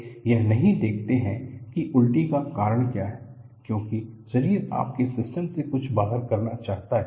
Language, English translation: Hindi, They do not look at what causes vomiting, because the body wants to throw certain stuff from your system